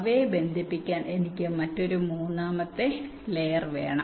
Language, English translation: Malayalam, right, i need another third layer to connect them